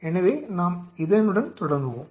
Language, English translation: Tamil, So, let us start with is